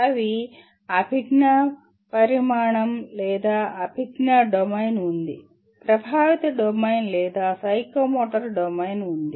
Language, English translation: Telugu, Namely, there is a cognitive dimension or cognitive domain, there is affective domain, or a psychomotor domain